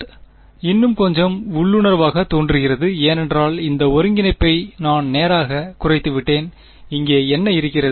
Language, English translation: Tamil, This root seems to be little bit more intuitive because I have reduced that integral straight away what is n hat over here